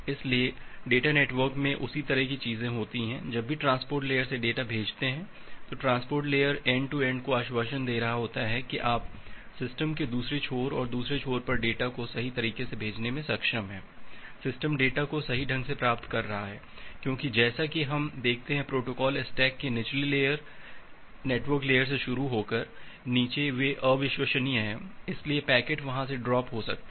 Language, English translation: Hindi, So, the same way things happens in the data network, whenever sending data from the transport layer, the transport layer is assuring end to end that you are able to send the data correctly at the other end of the system and the other end of the system is receiving the data correctly, because as we are looked into that the lower layer of the protocol stack starting from the network layer and the below they are unreliable, so packet may get dropped from there